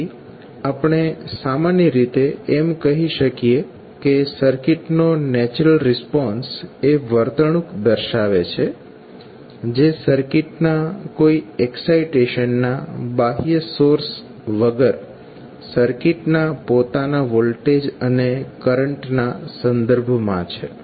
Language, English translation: Gujarati, So, we can simply say that natural response of the circuit, refers to the behavior that will be in terms of voltage and current of the circuit itself with no external sources of excitation